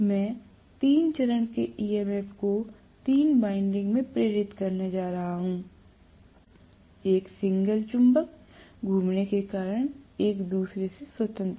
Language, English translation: Hindi, So, I am going to have three phase induce EMF in all the three windings, independent of each other because of one signal magnet rotating